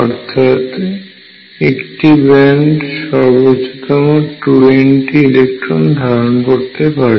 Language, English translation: Bengali, So, this means a band can accommodate maximum 2 n electrons